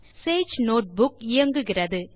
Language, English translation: Tamil, We have our Sage notebook running